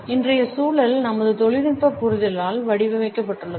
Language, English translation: Tamil, And today’s context is moulded by our technological understanding